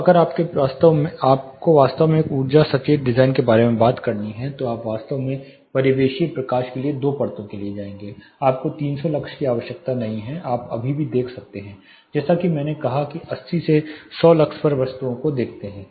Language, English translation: Hindi, So, if you have to really talk about an energy conscious design then you will go actually go for two layers for ambient lighting you do not need 300 lux you can still see as I said see objects at 80 to 100 lux